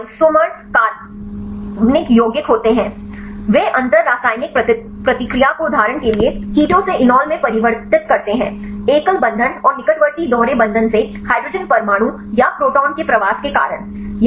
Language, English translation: Hindi, These are isomers are organic compounds right they inter convert the chemical reaction right for example, from the Keto to enol; due to the migration of hydrogen atom or proton right from the single bond and adjacent double bond